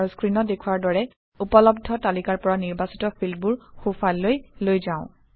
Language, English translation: Assamese, And we will move selected fields from the available list to the right side as shown on the screen